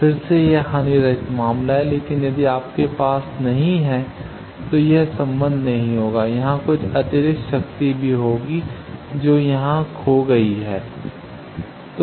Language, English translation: Hindi, Again this is the lossless case, but if you do not have this then this relationship will not hold there will be also some additional power that is lost here